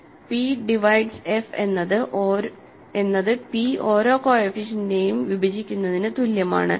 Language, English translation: Malayalam, So, p dividing f is equivalent to p dividing each coefficient